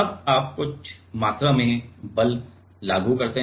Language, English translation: Hindi, Now, you apply some amount of force